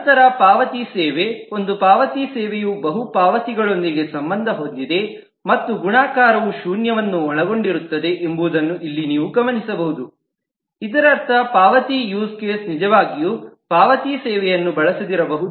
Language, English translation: Kannada, Then payment service: one payment service is associated with multiple payments and here you can note that the multiplicity includes zero, which means that a payment use case may not actually use a payment service